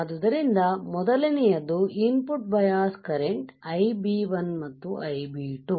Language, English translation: Kannada, So, first one is input bias current Ib1 and Ib2